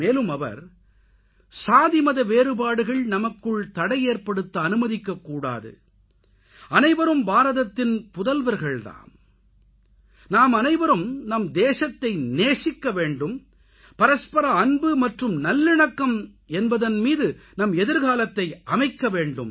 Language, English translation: Tamil, He had said "No division of caste or creed should be able to stop us, all are the sons & daughters of India, all of us should love our country and we should carve out our destiny on the foundation of mutual love & harmony